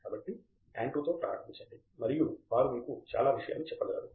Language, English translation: Telugu, So, I will may be start with Andrew and he can tell you something